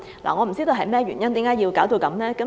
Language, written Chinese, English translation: Cantonese, 我不知道為何要這樣做。, I do not know why it is carried out in such a way